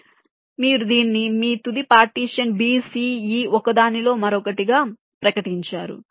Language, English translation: Telugu, so you declare this as your final partition: a, b, c, e in one, the rest in the other